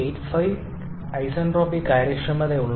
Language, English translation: Malayalam, 85 isentropic efficiencies it reaches point 2